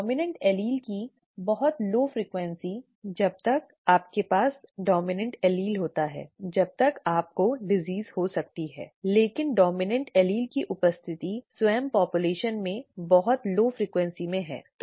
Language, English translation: Hindi, The very low frequency of the dominant allele as long as you have the dominant allele you are going to get the disease, but the presence of the dominant allele itself has a very low frequency in the population, okay